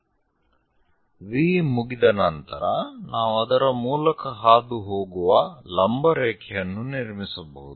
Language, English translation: Kannada, Once V is done, we can construct a perpendicular line passing through